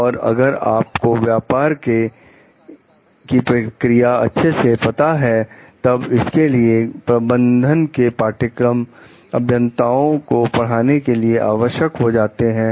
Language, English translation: Hindi, And if you know the business processes well, then that is why like the managing management courses are important for engineers